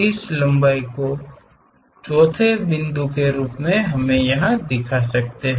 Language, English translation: Hindi, Measure this length call this one as 4th point